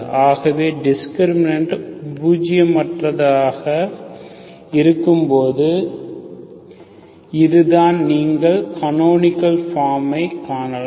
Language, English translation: Tamil, So when the discriminant is nonzero, so this is, this is how you can see the canonical form